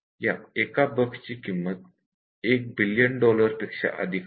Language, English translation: Marathi, So, the total cost for this bug is over 1 billion dollars